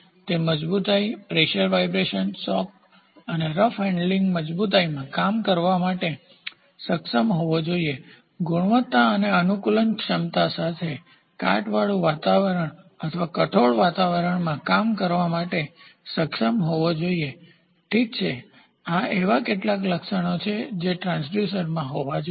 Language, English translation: Gujarati, So, then robustness, it should be able to ensure endure pressure vibration shock and rough handling robustness should be there as one quality and adaptability the transducer should be capable of working in a corrosive; corrosive environment or in harsh environment, ok, these are some of the attributes which are which transducer should have